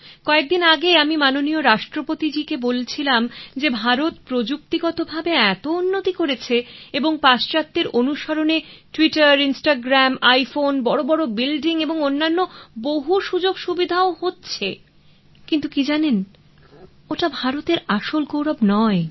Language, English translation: Bengali, I was mentioning I think to Hon'ble President a few days ago that India has come up so much in technical advancement and following the west very well with Twitter and Instagram and iPhones and Big buildings and so much facility but I know that, that's not the real glory of India